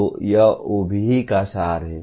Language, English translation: Hindi, So this is the essence of OBE